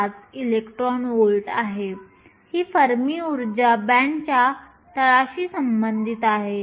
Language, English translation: Marathi, 5 electron volts this Fermi energy is with reference to the bottom of the band